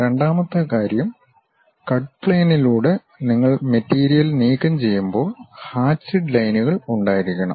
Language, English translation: Malayalam, Second thing, when you remove the material through cut plane is supposed to have hatched lines